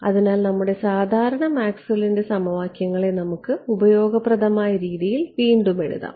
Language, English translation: Malayalam, So, our usual Maxwell’s equations let us just rewrite them in a way that is useful